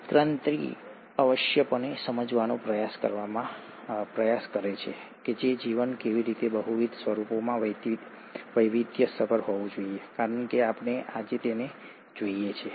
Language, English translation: Gujarati, Evolution essentially tries to explain, how life must have diversified into multiple forms as we see them today